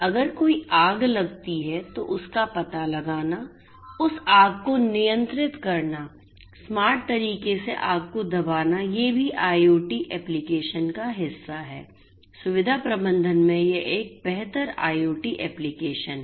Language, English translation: Hindi, If there is a fire that occurs, then you know detecting that in a smart way you know controlling that fire suppressing the fire in a smart way these are also part of the IoT application you know you know improved IoT application in facility management